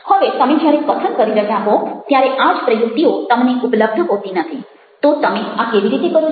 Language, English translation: Gujarati, now you don't have these same techniques available to you when you are speaking, so how do you do that